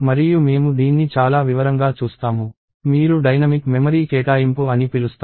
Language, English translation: Telugu, And we will see this in lot more detail, when you do what is called dynamic memory allocation